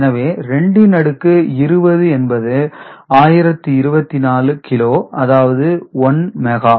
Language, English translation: Tamil, So, 2 to the power 20 is 1024 kilo that is 1 mega